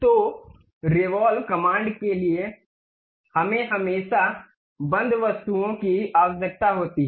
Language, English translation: Hindi, So, for revolve command we always require closed objects